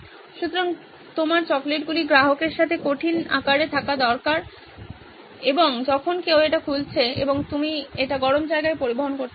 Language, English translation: Bengali, So, you need the chocolates to be in solid shape with the customer with somebody is opening it and you want it to be transported in hot places